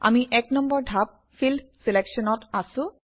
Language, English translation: Assamese, We are in Step 1 Field Selection